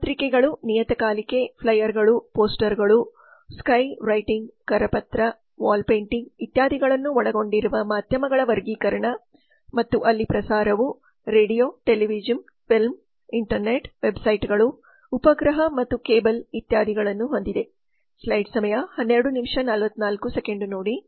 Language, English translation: Kannada, the classification of media that consist of newspapers magazine flyers posters sky writing brochure wall painting etc and the broadcast there is radio television film internet websites satellite and cable etc